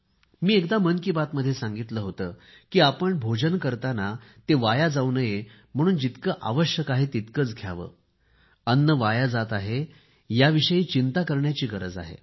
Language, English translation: Marathi, And, in one episode of Mann Ki Baat I had said that while having our food, we must also be conscious of consuming only as much as we need and see to it that there is no wastage